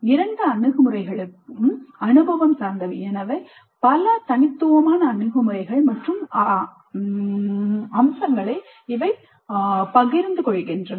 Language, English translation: Tamil, Both approaches are experience oriented and hence share several features but they are distinct approaches